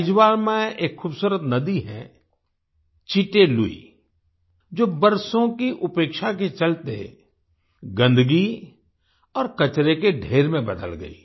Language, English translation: Hindi, There is a beautiful river 'Chitte Lui' in Aizwal, which due to neglect for years, had turned into a heap of dirt and garbage